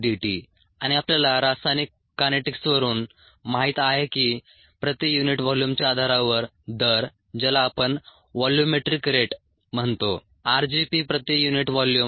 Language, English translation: Marathi, and we know from chemical kinetics that the rate on a per unit volume bases, the volumetric rate as we call, is r, g, p per unit volume